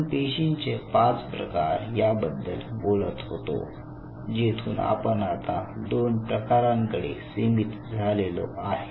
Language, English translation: Marathi, So now from 5 cell types now you are slowly narrowing down to 2 different cell types